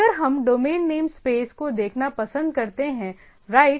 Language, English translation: Hindi, Now, if we like to see the domain name space right